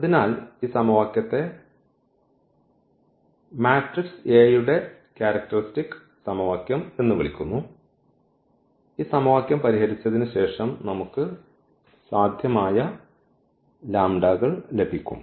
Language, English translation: Malayalam, So, this equation is called characteristic equation of the matrix A and after solving this equation we can get the possible lambdas